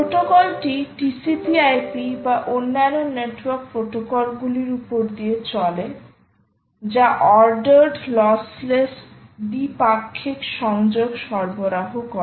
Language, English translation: Bengali, the protocol runs over t, c, p, i, p or other network protocols that provide ordered, lossless bidirectional connections